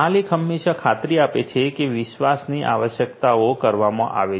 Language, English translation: Gujarati, The owner always ensures that the requirements of trust are made